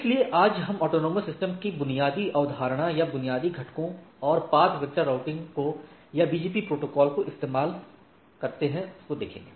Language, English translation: Hindi, So, today we will see the basic concept or basic components of autonomous system and or AS and the basic philosophy of the path vector routing or which the popular routing protocol BGP employs right